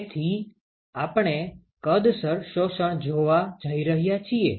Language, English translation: Gujarati, So, we are going to see volumetric absorption